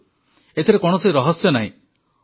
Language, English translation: Odia, Now, there is no secret in this